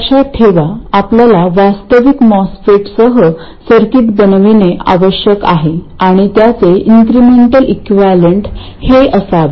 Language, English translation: Marathi, Remember, we have to make the circuit with a real MOSFET and its incremental equivalent should turn out to be this